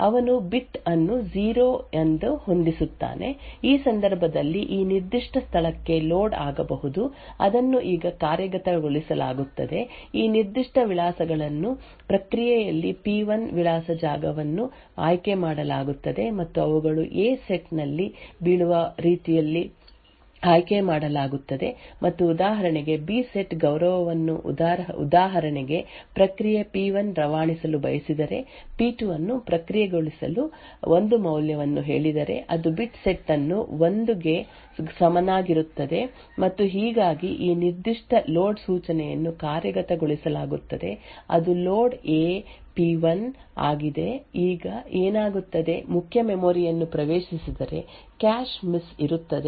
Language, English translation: Kannada, Now, you note that we can transmit one bit from process P1 to process P2 using this particular mechanism and the way we go about it is as follows let us say that a process P wants to transmit a bit equal to 0 so what he would do is that he would set the bit to be 0 in which case there would be a load to this particular location which gets executed now these particular addresses in the process P1 address space is selected in such a way that they fall in the A set and the B set respect thus for example if process P1 wants to transmit say a value of 1 to process P2 it would set the bit to be equal to 1 and thus this particular load instruction gets executed that is the load A P1 now what would happen is that the main memory gets accessed there would be a cache miss and one cache line gets loaded from the main memory into this A set so the process P2 data gets evicted and process P1 data would then be filled in that corresponding cache line